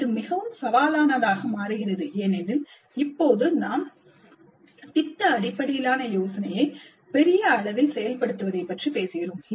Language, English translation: Tamil, And this becomes more challenging because now we are talking of a large scale implementation of product based idea